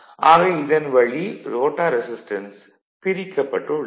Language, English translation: Tamil, So, this part actually separated the rotor resistance is separated right